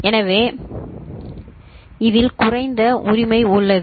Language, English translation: Tamil, So, in this is low right